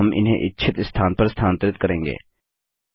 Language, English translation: Hindi, Now we will move them to the desired location